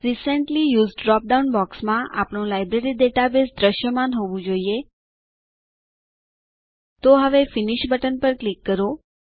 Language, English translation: Gujarati, In the Recently Used drop down box, our Library database should be visible, So now, click on the Finish button